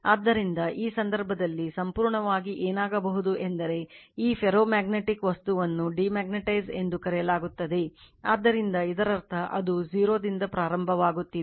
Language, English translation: Kannada, So, in this case, what will happen that you have completely you are what we called demagnetize that ferromagnetic material, so that means, it is starting from 0